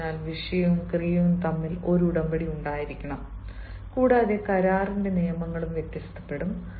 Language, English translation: Malayalam, fine, so there has to be an agreement between the subject and the verb, and the rules of the agreement will also vary